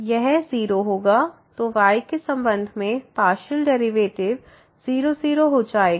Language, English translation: Hindi, So, the partial derivative with respect to at 0 0 is 0